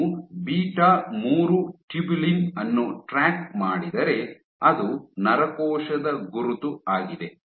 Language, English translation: Kannada, If you were to track beta 3 tubulin, which is a neuronal marker